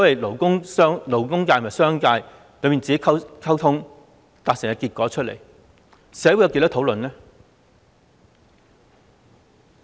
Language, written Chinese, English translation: Cantonese, 勞工界和商界閉門溝通，達成結果，但社會有多少討論呢？, The labour sector and the commercial sector reached an agreement through closed - door negotiations but how much discussion was held in society?